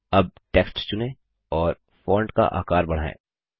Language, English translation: Hindi, Now, lets select the text and increase the font size